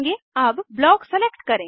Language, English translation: Hindi, Let us select Block